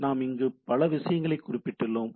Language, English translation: Tamil, There are several other things we mentioned here